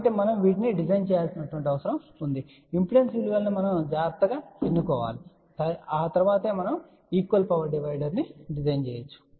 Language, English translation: Telugu, So, it is required that we design these things properly choose the impedance values carefully , so that we can design a equal power divider